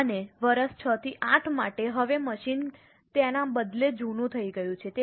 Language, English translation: Gujarati, And for year 6 to 8, now the machine has rather become older